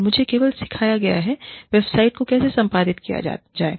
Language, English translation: Hindi, And, I have only been taught, how to edit the website